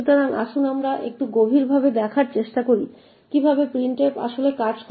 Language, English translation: Bengali, So, let us dig a little deeper about how printf actually works